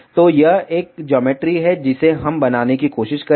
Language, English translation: Hindi, So, this is a geometry that we will try to make out